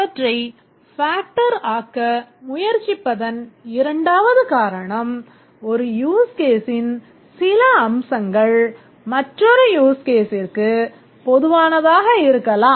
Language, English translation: Tamil, The second reason why we need to factor is that some aspect of one use case may be common to another use case